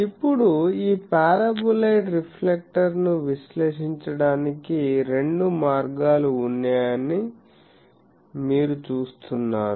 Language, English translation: Telugu, Now, you see that actually you see that there are two ways by which this paraboloid reflector can be analysed